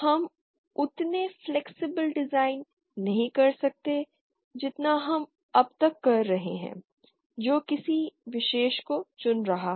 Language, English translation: Hindi, We cannot do as much flexible design as we have been doing so far that is choosing any particular team